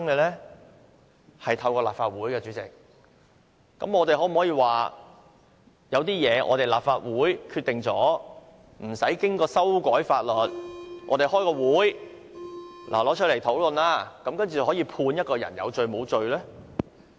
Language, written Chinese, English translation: Cantonese, 是透過立法會制定的，那麼，我們可否說由於法例是由立法會制定，故不需要經過修改法例，只需立法會舉行一次會議，提出來討論，然後便可以判決一個人有罪或無罪呢？, They are enacted by the Legislative Council . Can we then say that since the laws are enacted by the Legislative Council there is no need to amend the laws for the Legislative Council may simply conduct a meeting to discuss the case and rule if a person is guilty or innocent?